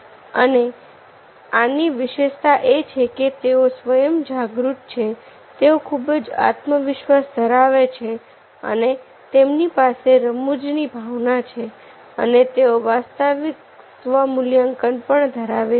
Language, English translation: Gujarati, and the hallmark is that those who are self aware, they are very confident, they have sense of humor and they have a realistic self assessment